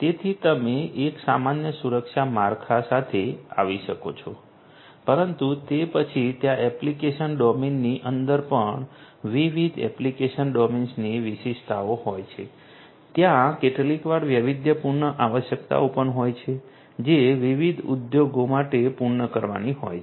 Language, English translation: Gujarati, So, you can come up with a common security framework right that is fine, but then there are specificities across different you know application domains even within an application domain also there are sometimes custom requirements that will have to be fulfilled for different industries